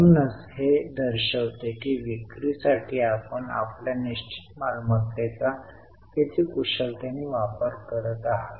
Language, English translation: Marathi, So, it shows how efficiently you are utilizing your fixed assets to generate sales